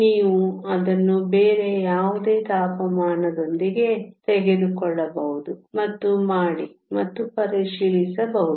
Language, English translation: Kannada, You can take it with any of the other temperatures and also done and checked